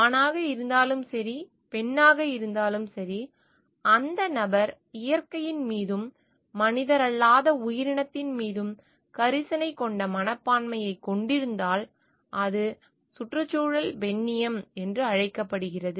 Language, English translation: Tamil, Anyone, whether male or female if that person has a caring attitude towards the nature and the non human entity, then it is called ecofeminism